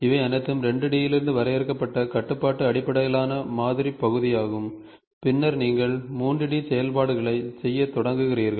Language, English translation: Tamil, So, these all are part of constraint based modeling which is defined from 2 D and then, you start doing a 3 D operations